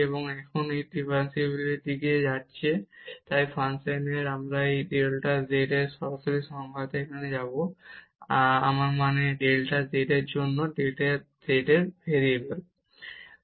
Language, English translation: Bengali, And now coming to the differentiability, so of this function, so we will take this delta z direct definition here, I mean for the delta z, the variance in z